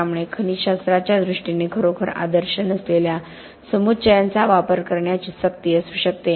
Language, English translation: Marathi, So there could be a compulsion to use aggregates which are not really ideal in terms of mineralogy